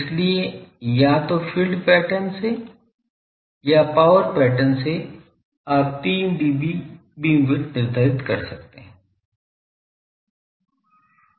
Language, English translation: Hindi, So, either from the field pattern or from the power pattern, you can quantify the 3 d B beam width